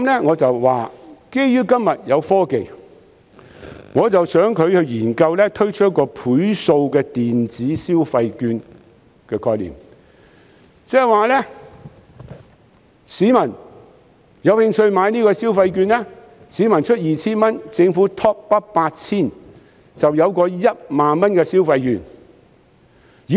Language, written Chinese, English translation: Cantonese, 我說基於今天有科技，我想到一項建議，希望政府研究推出"倍數電子消費券"，意思是有興趣的市民可以購買消費券，市民支付 2,000 元，政府 top up 8,000 元，就有價值 10,000 元的消費券。, I said that on the basis of the technology today I have come up with a suggestion . I hope that the Government can study the introduction of multiple electronic consumption vouchers for interested citizens to purchase . After a person has paid 2,000 the Government will then top up 8,000 so that the consumption voucher can have a value of 10,000